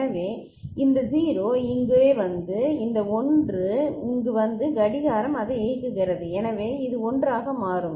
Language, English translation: Tamil, So, this 0 comes over here this 1 comes over here and clock is enabling it so this will become 1